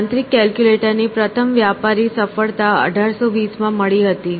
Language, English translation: Gujarati, The first commercial success of a mechanical calculator was in 1820